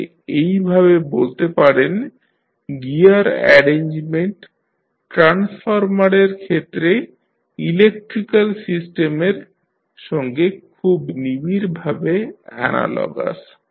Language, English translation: Bengali, So, in this way you can say that the gear arrangement is closely analogous to the electrical system in case of the transformer